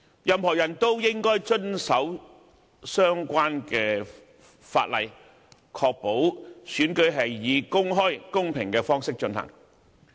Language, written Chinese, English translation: Cantonese, 任何人都應該遵守相關條例，以確保選舉是以公開、公平的方式進行。, We ought to abide by the relevant ordinances so as to ensure that the election will be conducted in an open and fair manner